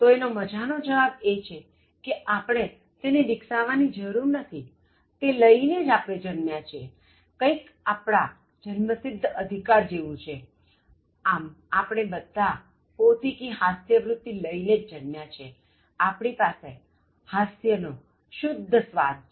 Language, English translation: Gujarati, The interesting answer is that, we need not develop humour as it is something that we are born with, it is something like our birthright, so we are all born with our own sense of humour, we all have refined taste for humour